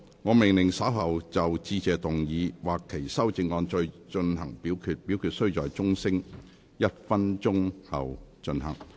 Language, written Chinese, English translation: Cantonese, 我命令若稍後就"致謝議案"所提出的議案或修正案再進行點名表決，表決須在鐘聲響起1分鐘後進行。, I order that in the event of further divisions being claimed in respect of the Motion of Thanks or any amendments thereto this Council do proceed to each of such divisions immediately after the division bell has been rung for one minute